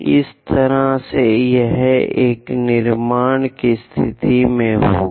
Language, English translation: Hindi, This is the way one will be in a position to construct it